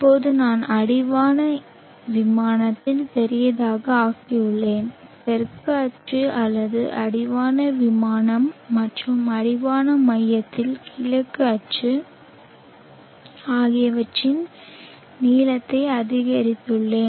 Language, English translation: Tamil, Obverse now that I have made the horizon plane bigger much bigger I have increased the lens of the south axis or the horizon plane and the east axis on the horizon plane